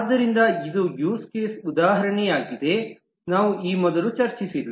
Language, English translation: Kannada, So this is an use case example, not one which we have discussed earlier